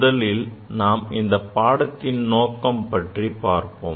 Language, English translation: Tamil, Let us first discuss about the aim of this course